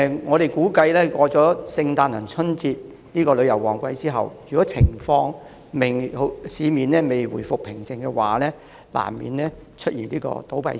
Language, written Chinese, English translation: Cantonese, 我們估計，如果聖誕節和春節兩個旅遊旺季過去後，市面仍未回復平靜的話，旅遊業及相關行業難免會出現倒閉潮。, According to our estimate it will be unavoidable for the tourism and related industries to see a wave of business closures if the city has still not resumed peace after the peak travel seasons of Christmas and the Chinese New Year